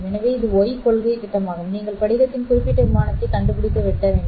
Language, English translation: Tamil, So this is the Y principle plane that you will have to locate and then cut along that particular plane of the crystal